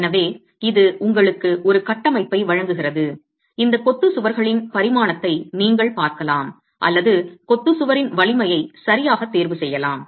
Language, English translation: Tamil, So, it gives you a framework within which you can look at dimensioning of masonry walls or choosing the strength of the masonry wall itself